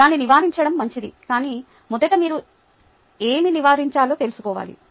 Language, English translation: Telugu, it is good to avoid that, but first you need to know what to avoid